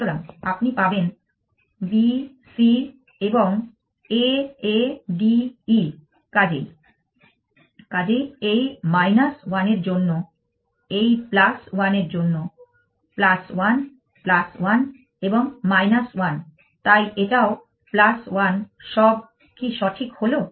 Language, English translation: Bengali, you would get B C and A A D E, so this minus 1 for this plus 1 for this plus 1 plus 1 and minus 1, so this is also plus 1 is that correct